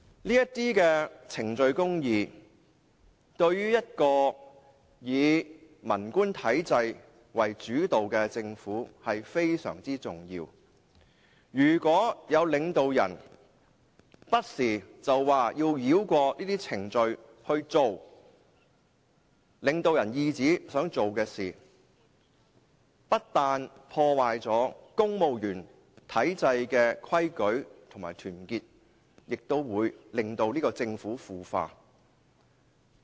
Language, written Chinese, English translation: Cantonese, 這些程序公義對一個以文官體制為主導的政府非常重要，如果有領導人不時要繞過這些程序行事，以領導人懿旨的方法辦事，不單會破壞公務員體制的規矩和團結，也會令政府腐化。, Procedural justice is extremely important to the Government led by the civil officials system . If leaders circumvent these procedures from time to time and work according to their own will it will not only jeopardize the rules and solidarity of the Civil Service but will also cause the Government to become corrupted